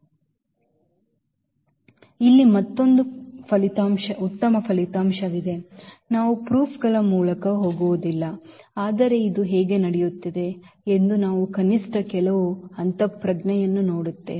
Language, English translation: Kannada, So, there is another nice result here we will not go through the formal proof, but we will see at least some intuition how this is happening